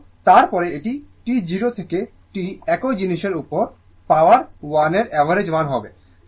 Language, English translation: Bengali, And then, it will be the average value of the power 1 upon T 0 to T same thing